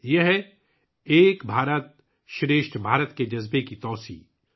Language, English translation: Urdu, This is the extension of the spirit of 'Ek BharatShreshtha Bharat'